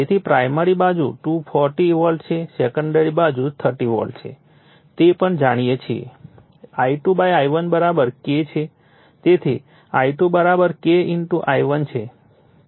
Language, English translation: Gujarati, So, primary side is 240 volt secondary side is 30 volts also we know that I2 / I1 = K